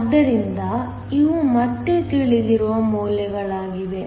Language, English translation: Kannada, So, these are again values that are known